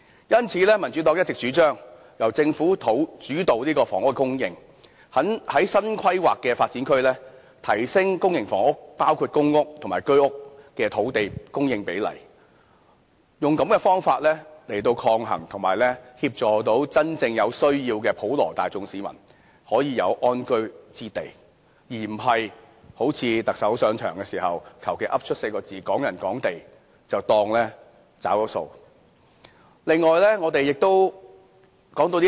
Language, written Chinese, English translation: Cantonese, 因此民主黨一直主張由政府主導房屋的供應，在新規劃的發展區提升公營房屋，包括公屋及居屋的土地供應比例，用這個方法來協助真正有需要的市民可以有安居之所，而並非好像行政長官上場的時候，胡亂說出"港人港地 "4 個字便當"找了數"。, Hence the Democratic Party has long been advocating Government - led housing supply raising the ratio of land supply for public housing including PRH and Home Ownership Scheme housing units in newly planned development zones with a view to assisting the public in real need to get a place to live . This will be different from LEUNG Chun - ying who when assuming office just took his casual words of Hong Kong property for Hong Kong residents as fulfilling his undertaking